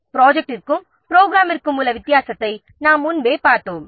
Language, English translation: Tamil, So, we have already seen earlier the difference between project and the program